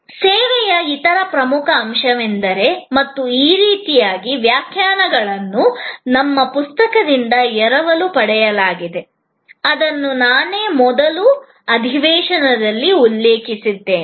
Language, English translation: Kannada, The other important point in service and this by the way is actually, these definitions are borrowed from our book, which I had already mentioned in the earlier session